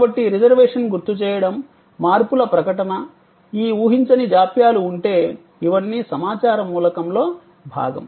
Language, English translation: Telugu, So, reservation reminder, notification of changes, if there are these unforeseen delays, these are all part of the information element